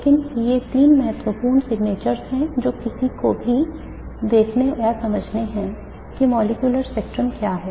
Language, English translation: Hindi, But these are the three important signatures that one looks for in understanding what is the molecular spectrum